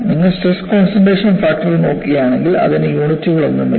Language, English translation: Malayalam, If you look at stress concentration factor, it had no units